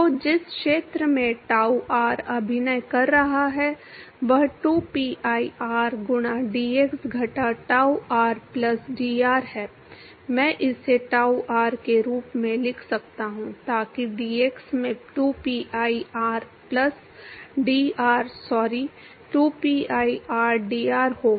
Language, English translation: Hindi, So, the area in which tau r is acting is 2pi r into dx minus tau r plus d r, I can write it as tau r so that will be 2pi r plus dr sorry 2pi rdr into dx